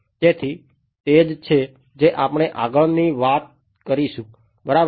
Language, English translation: Gujarati, So, that is what we are going to talk about next right